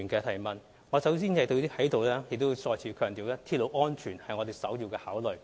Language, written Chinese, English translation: Cantonese, 首先，我想在這裏再次強調，鐵路安全是我們的首要考慮。, First I would like to reiterate that railway safety is our overriding consideration . There is indeed no question of procrastination